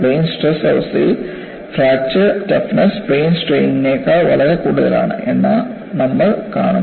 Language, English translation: Malayalam, And in plane stress condition, you would see later, a fracture toughness is much higher than a plane strain